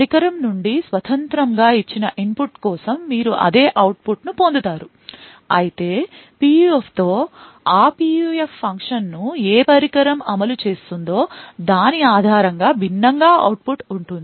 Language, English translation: Telugu, Over there for a given input independent of the device you would get the same output however, with a PUF the output will differ based on which device is executing that PUF function